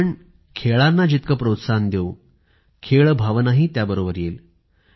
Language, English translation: Marathi, The more we promote sports, the more we see the spirit of sportsmanship